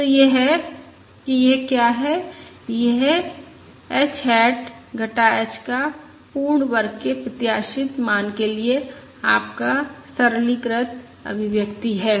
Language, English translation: Hindi, this is your simplified expression for expected value of h hat minus h whole square